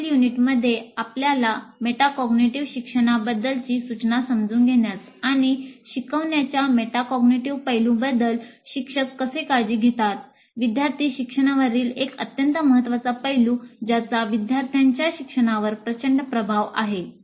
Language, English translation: Marathi, And in the next unit, we'll understand instruction for metacognitive learning, an extremely important aspect of student learning, which has tremendous influence on student learning, and how do the instructors take care of the metacognitive aspects of learning